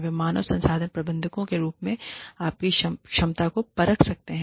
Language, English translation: Hindi, They could come to you, in your capacity as human resources managers